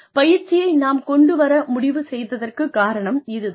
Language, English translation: Tamil, See, the reason, we decide to come up with a training, is this